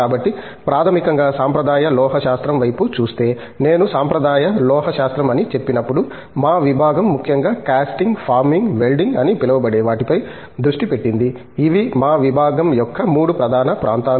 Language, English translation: Telugu, So, basically looking at traditional metallurgy, when I said traditional metallurgy, our department particularly concentrated on what is called Casting, Forming, Welding these are the 3 core areas of our department